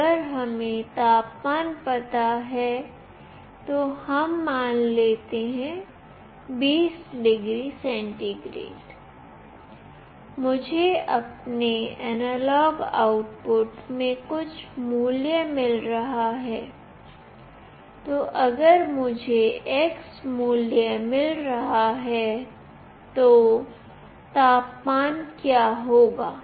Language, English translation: Hindi, If we know that now the temperature is, let us say 20 degree centigrade, I am getting certain value in my analog output, then if I am getting x value, what will be the temperature